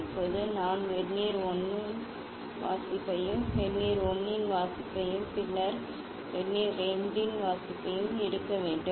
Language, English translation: Tamil, Now, I have to take the reading of Vernier 1, reading of Vernier 1 and then 1 should take the reading of Vernier 2